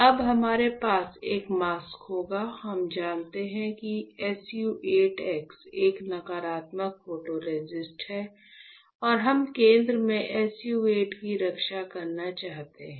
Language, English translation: Hindi, So, now we will have a mask, we know that SU 8 x is a negative photoresist and we want to protect SU 8 in the center